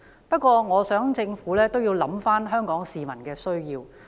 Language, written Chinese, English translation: Cantonese, 不過，我希望政府亦能考慮香港市民的需要。, However I hope that the Government will also consider the needs of Hong Kong people